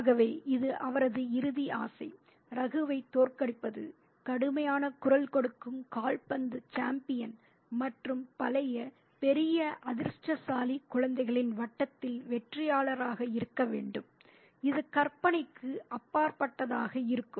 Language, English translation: Tamil, So, this is his ultimate desire to defeat Ragu that his suit horse voice football champion and to be the winner in a circle of older, bigger, luckier children, that would be thrilling beyond imagination